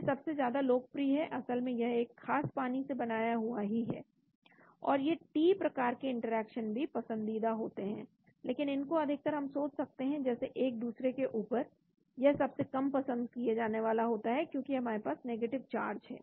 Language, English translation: Hindi, this is the most liked actually is a especially prepared in water, and the T type of interactions is also favored, but this generally we may think one on top of another, that is the least favored because we have the negative charge